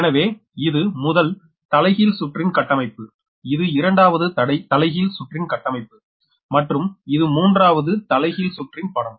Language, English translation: Tamil, so this is the configuration for the first transposition cycle, this is the configuration for the second transposition cycle and this is the diagram for the third transposition cycle